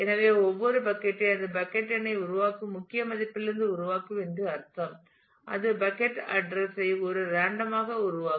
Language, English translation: Tamil, So, that each bucket will I mean it will generate from the key value it will generate the bucket number, it will generate the bucket address in kind of a random manner